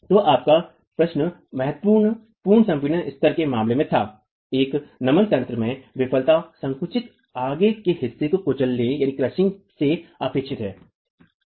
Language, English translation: Hindi, Okay, so your question was in the case of significant pre compression levels, failure in a flexual mechanism is expected by the crushing of the compressed toe